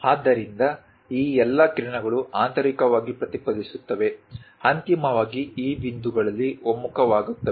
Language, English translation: Kannada, So, all these rays internally reflected, finally converge at this points